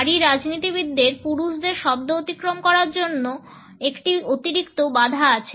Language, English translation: Bengali, Female politicians have an additional hurdle to overcome with male words